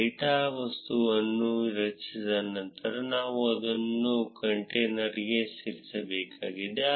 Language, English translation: Kannada, After creating the data objects, we need to add it to the container